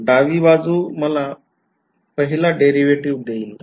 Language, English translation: Marathi, The left hand side will give me first derivative